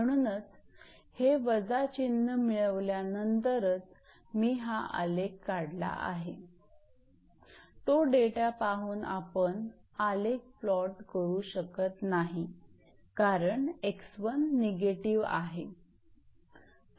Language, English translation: Marathi, That is why after getting this minus only I have drawn this graph, looking at that data you cannot plot the graph because x one is negative